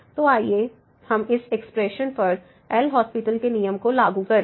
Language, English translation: Hindi, So, let us apply the L’Hospital’s rule to this expression